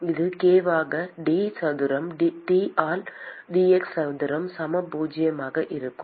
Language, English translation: Tamil, It will be k into d square T by dx square equal zero